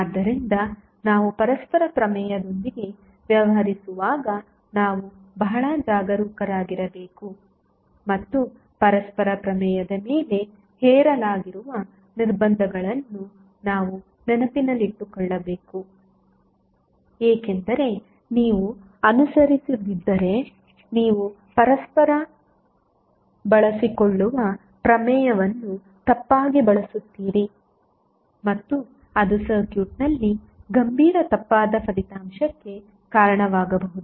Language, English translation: Kannada, So, we have to be very careful when we deal with the reciprocity theorem and we have to keep remembering the restrictions which are imposed on the reciprocity theorem because if you do not follow then the reciprocity theorem you will use wrongly and that may lead to a serious erroneous result in the circuit